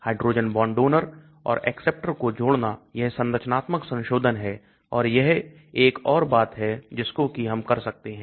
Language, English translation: Hindi, Adding hydrogen bond donors and acceptors that is structural modifications and that is another thing we can do